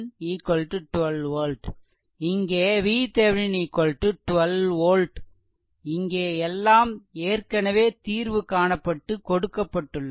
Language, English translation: Tamil, So, V Thevenin is equal to 12 volt here, it is already solved here everything is solved here